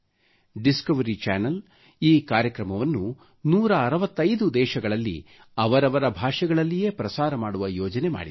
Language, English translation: Kannada, The Discovery Channel plans to broadcast this programme in 165 countries in their respective languages